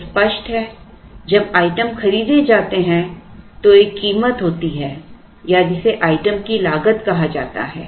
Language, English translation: Hindi, So, obviously when items are bought there is a price or which is called the cost of the item